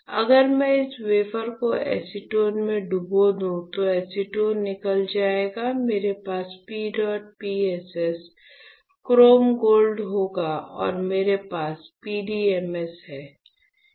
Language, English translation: Hindi, If I dip this wafer in acetone, this wafer, then acetone will get stripped off, I will have P dot PSS, chrome gold and I have PDMS, and this is silicone